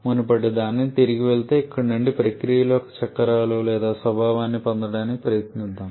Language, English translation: Telugu, Just going back to the previous one just let us try to get the cycles or nature of the processes from here